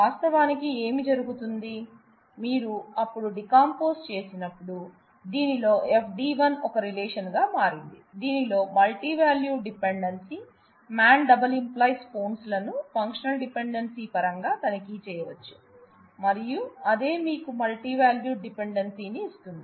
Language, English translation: Telugu, Actually, what happens is, when you when you have decomposed then, FD 1 in this has become a relation where, the multivalued dependency man multi determining phones can be checked in terms of a functional dependency itself, and that that is what gives you the multi value dependency